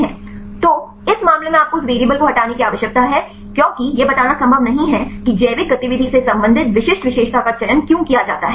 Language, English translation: Hindi, So, in this case you need to remove that variable because it is not possible to explain why the specific feature is selected to relate the biological activity